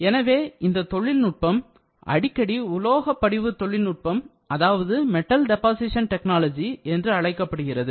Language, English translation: Tamil, Thus this technology is often referred to as metal deposition technology